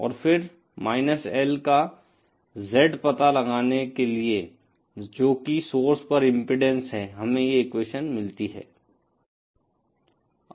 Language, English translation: Hindi, And then for finding out Z of L, that is the impedance at the source, we get this equation